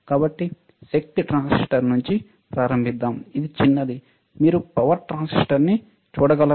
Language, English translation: Telugu, So, let us start from the smaller one, this is the power transistor, can you see a power transistor, right